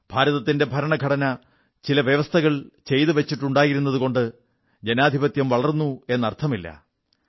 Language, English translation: Malayalam, And it was not just on account of the fact that the constitution of India has made certain provisions that enabled Democracy to blossom